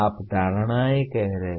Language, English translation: Hindi, You are stating the assumptions